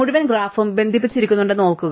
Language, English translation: Malayalam, Remember that the whole graph is connected